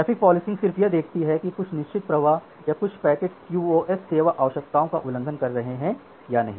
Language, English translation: Hindi, So, traffic policing what it tries to do it just looks that whether certain flows or certain packets are violating the QoS service requirements or not